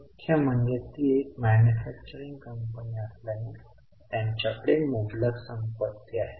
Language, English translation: Marathi, Mainly because it's a manufacturing company, they have got vast amount of fixed assets